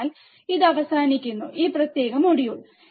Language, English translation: Malayalam, So, this is the end of this particular module